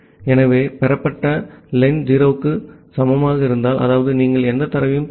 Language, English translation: Tamil, So, if that received len is equal to equal to 0; that means, you are not receiving any data